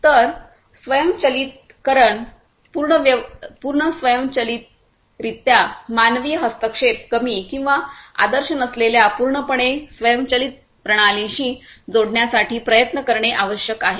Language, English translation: Marathi, So, automation, full automation we need to have we need to strive towards fully connected fully autonomous systems with reduced or ideally no human intervention